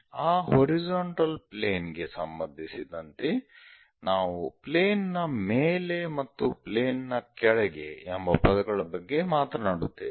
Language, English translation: Kannada, With respect to that horizontal plane, we will talk about above the plane or below the plane